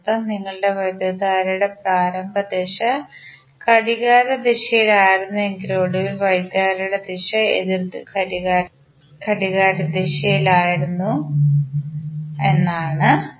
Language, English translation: Malayalam, That means that our initial direction of current was clockwise but finally the direction of current is anti clockwise